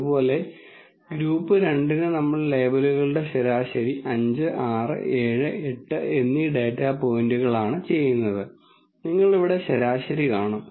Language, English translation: Malayalam, Similarly for group 2, we do the mean of the labels are the data points 5, 6, 7, 8 and you will see the mean here